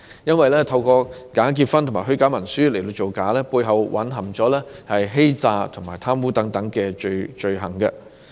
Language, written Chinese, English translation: Cantonese, 因為透過假結婚和虛假文書造假，背後已蘊含欺詐和貪污等罪行。, Committing immigration frauds by engaging in bogus marriages and using forged documents have already constituted fraudulent and corruption offences